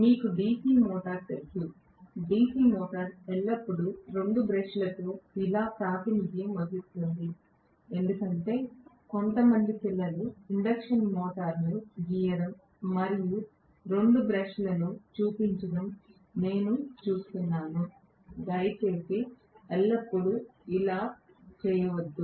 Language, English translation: Telugu, You guys know DC motor, DC motor is always represented like this with two brushes because I see still some kids drawing the induction motor and showing two brushes, please do not ever do that